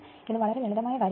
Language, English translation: Malayalam, It is very simple